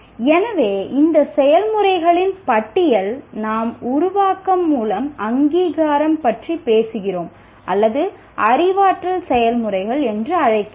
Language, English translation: Tamil, So all this list of processes that we are talking about, recognition through creation are what we call cognitive processes